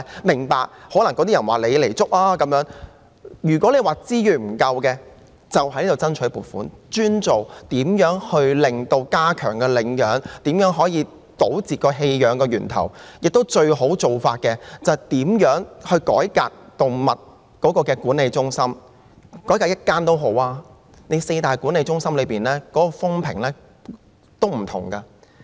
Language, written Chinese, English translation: Cantonese, 如果問題是資源不足，便應該向立法會申請撥款，專門用於加強領養和堵截棄養源頭的工作，最好的做法便是看看如何改革動物管理中心，即使是改革一間也好，因為四大動物管理中心的評價也有所不同。, If the problem is insufficient resources applications for funds dedicated to promoting adoption and stemming the sources of abandoned animals should be made to the Legislative Council . The best course of action is to look at how the animal management centres can be reformed . Even reforming just one centre is desirable because there are different evaluations of the four major animal management centres